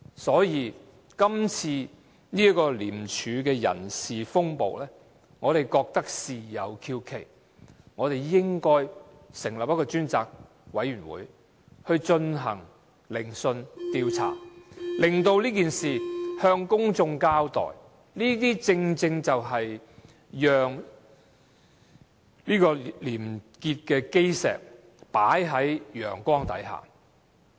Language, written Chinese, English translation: Cantonese, 所以，今次廉署的人事風暴，我們覺得事有蹊蹺，應該成立一個專責委員會，進行聆訊調查，以向公眾交代事情，這些正正是把廉潔的基石放在陽光下。, Hence we sense something unusual in this ICAC personnel storm and think that a select committee should be established to conduct an investigation into the matter and give an account to the public . This precisely will be putting the cornerstone of probity under the sun